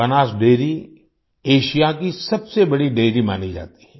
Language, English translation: Hindi, Banas Dairy is considered to be the biggest Dairy in Asia